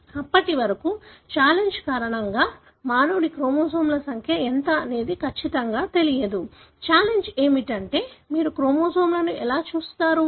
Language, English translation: Telugu, Until then, it was not sure as to what is the number of chromosomes human have because of the challenge, the challenge being how do you look at chromosomes